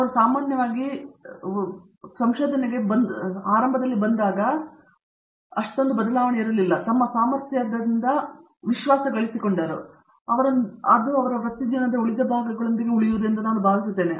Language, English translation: Kannada, When they come in usually find a big change is in their level of confidence in their own abilities and I think that is with that is going to remain with them for rest of their career